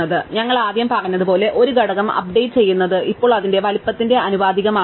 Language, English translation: Malayalam, So, the first thing as we said is updating a component is now proportional to its size, right